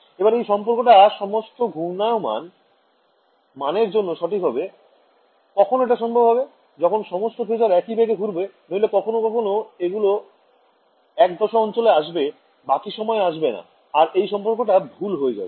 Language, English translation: Bengali, And this relation should be true for all values of rotation, when will that be possible, when all the phasors are rotating at the same speed otherwise sometimes they will be in phase, sometimes they will not be in phase and this relation will not be true